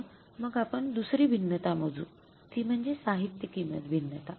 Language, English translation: Marathi, So let's calculate the second variance, material price variance